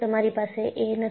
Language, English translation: Gujarati, You did not have